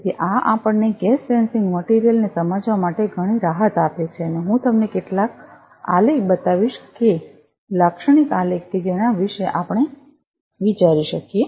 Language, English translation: Gujarati, So, this gives us lot of flexibility to understand this gas sensing material and I will show you some of the graphs that typical graphs which we can think of